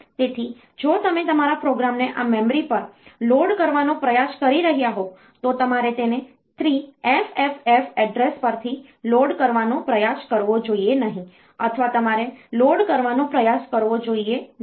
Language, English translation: Gujarati, So, if you are trying to load your program on to this memory you should not try to load it from address say 3FFF or you should not try to load sorry you should not try to load it from 4000 onwards because that space there is no chip